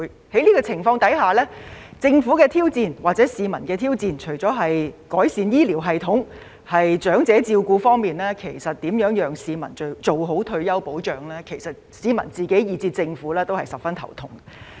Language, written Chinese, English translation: Cantonese, 在這種情況下，政府或市民面對的挑戰，除了改善醫療系統和長者照顧，如何讓市民做好退休保障亦是令市民及政府十分頭痛的問題。, Under these circumstances in addition to the challenge of improving the healthcare system and elderly care retirement protection is also a headache for the people and the Government